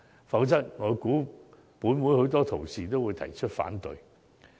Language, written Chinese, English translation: Cantonese, 否則，我估計本會多位同事也會提出反對。, Otherwise I guess many colleagues in the Council will raise objection